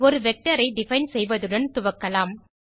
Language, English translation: Tamil, Let us start by defining a vector